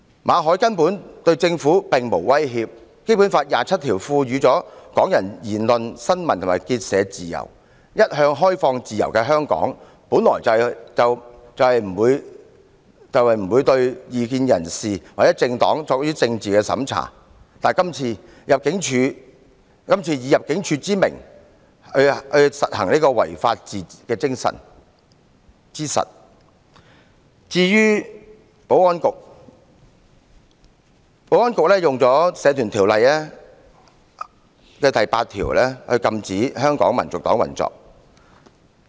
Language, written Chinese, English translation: Cantonese, 馬凱對政府根本並無威脅，《基本法》第二十七條賦予香港人言論、新聞和結社自由，一向開放自由的香港，本來不會對異見人士或政黨作政治審查，但今次以入境處的名義進行違法行為，而保安局又以《社團條例》第8條禁止香港民族黨運作。, Mr MALLET has posed no threat whatsoever to the Government . Article 27 of the Basic Law grants Hong Kong people freedom of speech freedom of the press and freedom of assembly . Hong Kong which used to be open and free has never imposed political censorship on dissidents or political parties but this time an illegal action was taken by the Immigration Department and the Security Bureau invoked section 8 of the Societies Ordinance to prohibit the operation of HKNP